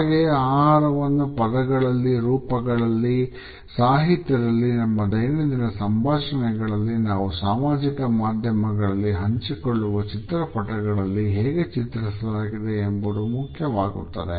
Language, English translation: Kannada, At the same time how food is presented in words and images, in literature, in our day to day dialogue, in the photographs which we share on social media etcetera is also important